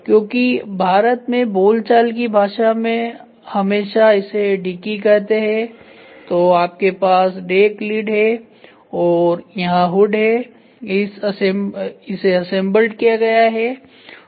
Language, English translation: Hindi, So, in a very colloquial term in India we always call it as dicky so decklid is put your hand then you have a hood here so, this is assembled